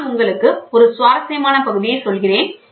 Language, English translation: Tamil, So, the interesting part let me tell you